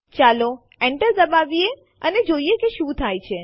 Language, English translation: Gujarati, Let us press Enter and see what happens